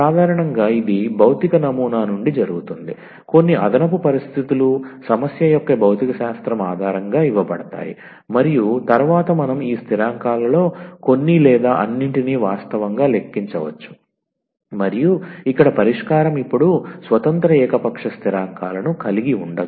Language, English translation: Telugu, So, usually that is done from the physical model that some extra conditions, are given based on the physics of the problem and then we can compute actually some or all of the these constants and the solution here now does not have any independent arbitrary constants